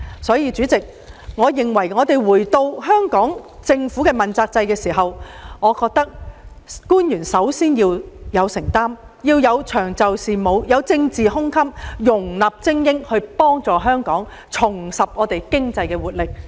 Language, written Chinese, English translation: Cantonese, 所以，回到香港政府主要官員問責制這議題，我認為官員首先要有承擔精神，必須長袖善舞，具有容納精英的政治胸襟，這才有助香港重拾經濟活力。, Hence when returning to the subject of the accountability system for principal officials in the Hong Kong Government I think government officials should first of all have a spirit of commitment . In order to help Hong Kong regain its economic vitality they must be skillful and diplomatic and have the political magnanimity to accommodate able people